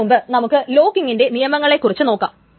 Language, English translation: Malayalam, But before that, let us go through the rules of locking